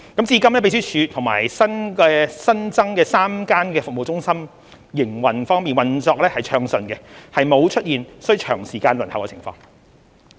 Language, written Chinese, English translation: Cantonese, 至今秘書處及新增設的3間服務中心均運作暢順，沒有出現需長時間輪候的情況。, So far the Secretariat and the three additional service centres have been running smoothly and no long waiting is necessary